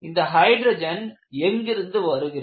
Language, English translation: Tamil, And where do this hydrogen come from